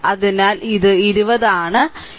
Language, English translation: Malayalam, So, it is 20